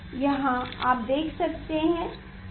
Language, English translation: Hindi, here you can see